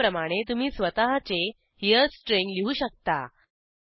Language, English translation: Marathi, Likewise, you can write your own Here strings